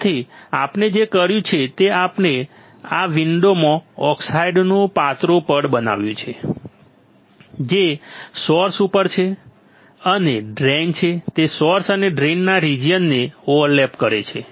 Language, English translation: Gujarati, So, what we are we have done we have grown a thin layer of oxide into this window, that is over the source and drain such that it overlaps region of source and drain